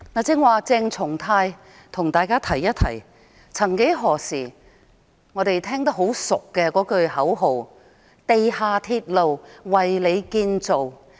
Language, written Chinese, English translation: Cantonese, 剛才，鄭松泰議員提起一句曾幾何時我們耳熟能詳的口號："地下鐵路為你建造"。, Just now Dr CHENG Chung - tai mentioned MTR―A Railway For You a slogan which was once very familiar to us